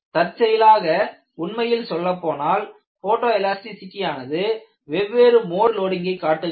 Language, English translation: Tamil, In fact, it is so fortuitous that photo elasticity has shown difference between different modes of loading